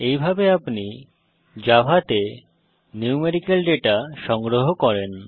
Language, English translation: Bengali, This is how you store numerical data in Java